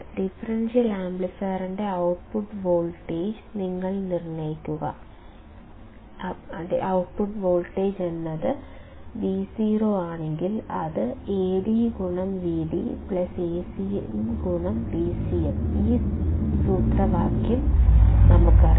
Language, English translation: Malayalam, That you determine the output voltage of differential amplifier; so, V o is nothing, but Ad into V d plus Acm into V c m; we know this formula